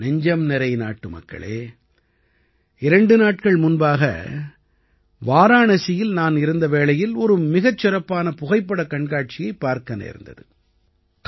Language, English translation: Tamil, My dear countrymen, two days ago I was in Varanasi and there I saw a wonderful photo exhibition